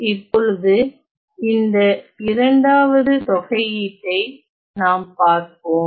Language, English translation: Tamil, Now, let us look at this integral the second one